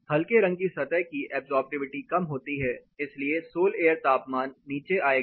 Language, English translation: Hindi, The light color surface the absorptivity is less, so the sol air temperature is going to come down